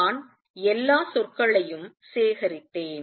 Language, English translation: Tamil, I have collected all the terms